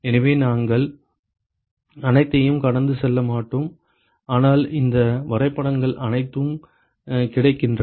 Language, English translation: Tamil, So, we will not go over all of them, but all these graphs are all available